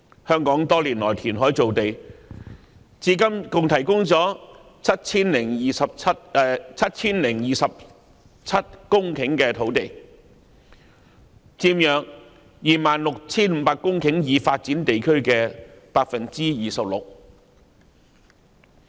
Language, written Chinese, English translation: Cantonese, 香港多年來填海造地，至今共提供了 7,027 公頃土地，佔約 26,500 公頃已發展地區的 26%。, Over all these years Hong Kong has sought to develop land through reclamation . So far 7 027 hectares of land have been created and this accounts for 26 % of some 26 500 hectares of developed areas